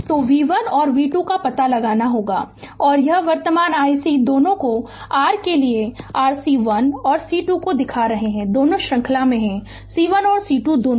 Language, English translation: Hindi, So, you have to find out v 1 and v 2 right and this current i C is showing to both to your for C 1 and C 2 both are in series so, both C 1 and C 2